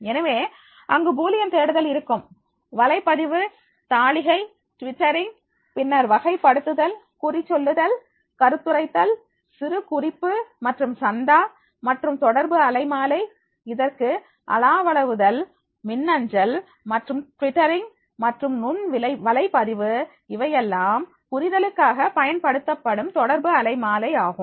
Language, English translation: Tamil, So, therefore these are the searches with the Boolean searches, blog journaling, twittering, then the categorizing, then the tagging, commenting, annotation and subscribing and the communication spectrum, which will be used for this that will be the chatting, emailing and the twittering or the microblogging this will be the communication spectrum, which will be used for the understanding